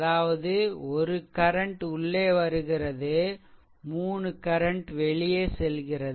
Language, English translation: Tamil, So; that means, one current is entering other are leaving